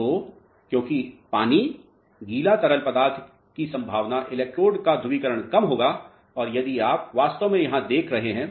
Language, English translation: Hindi, So, because water is the wetting fluid the chances of electrode polarization would be less and that is what actually you are seeing here